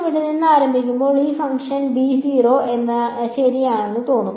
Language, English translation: Malayalam, So, when I start from here what will this function look like b is 0 right